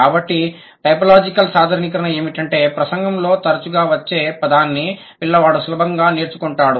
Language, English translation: Telugu, So, the one typological generalization is that the word which occurs frequently in the discourse, it is easier for child to acquire that